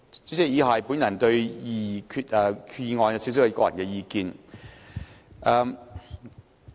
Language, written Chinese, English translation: Cantonese, 主席，以下是我對擬議決議案的個人意見。, President the following are my personal views on the proposed resolution